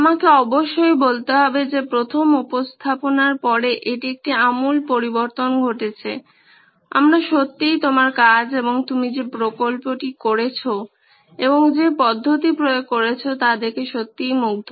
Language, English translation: Bengali, I must say after the first presentation this is a drastic change we are really impressed with your work and the project that you have done and the method that you have applied is perfect